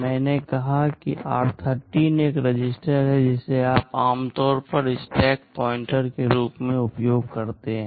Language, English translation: Hindi, I said r13 is a register that you typically use as the stack pointer